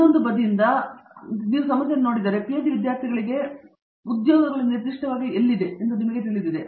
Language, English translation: Kannada, But if you look at the problem from the other side from the pull side you know as to where are the jobs for PhD students specifically